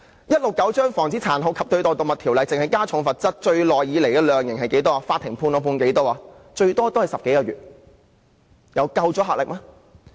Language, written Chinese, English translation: Cantonese, 而《防止殘酷對待動物條例》只是加重罰則，這麼多年以來，法庭判決的量刑最長也只是10個多月，有足夠的阻嚇力嗎？, You know the authorities have only increased the penalties under the Prevention of Cruelty to Animals and over all these years the longest prison sentence handed down by the Court is just 10 months . Can this serve any deterrent effect?